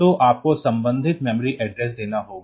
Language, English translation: Hindi, So, you have to give the corresponding memory address